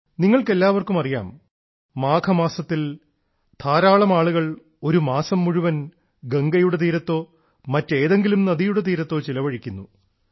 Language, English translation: Malayalam, All of you are aware with the advent of the month of Magh, in our country, a lot of people perform Kalpvaas on the banks of mother Ganga or other rivers for an entire month